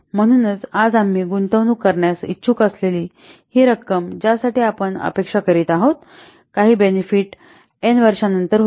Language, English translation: Marathi, So, this amount that we are willing to invest today for which we are expecting that some benefit will occur might be after n years or a number of years or so